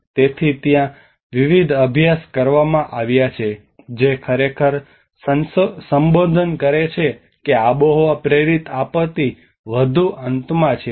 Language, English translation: Gujarati, So there have been various studies which actually address that climate induced disaster is on higher end